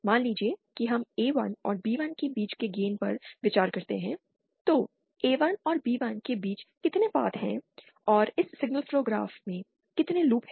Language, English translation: Hindi, Suppose we consider the path between, the gain between A1 and B1, then how many paths are there between A1 and B1 and how many loops are there in this signal flow graph